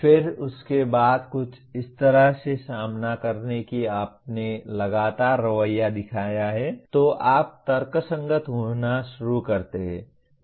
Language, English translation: Hindi, Then after few encounters like that you have consistently shown the attitude then you start rationalizing